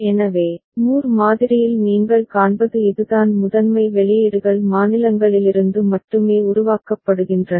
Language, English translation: Tamil, So, that is what you see in Moore model that the primary outputs are generated solely from the states ok